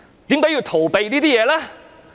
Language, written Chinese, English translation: Cantonese, 為何要逃避這些事呢？, Why would they avoid such issues?